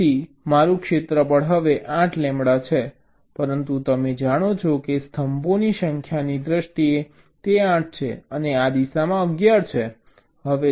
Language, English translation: Gujarati, so now your, your area is, is is eight, lambda, but you know that ok means eight is in terms of the number of columns, and eleven in this direction